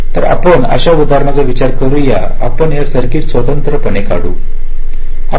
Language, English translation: Marathi, so we consider an example like: let us just draw this circuit separately